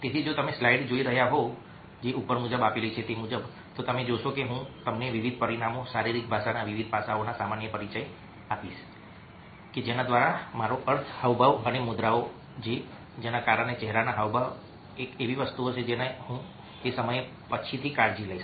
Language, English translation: Gujarati, so if you are looking at a, the slides, you will find that a i will give you a general introduction to different dimensions, different aspects of body language, by which i mean a, gestures and postures, because facial expressions and thing which i will take care of at later point of time